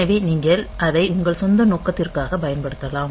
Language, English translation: Tamil, So, you can use it for your own purpose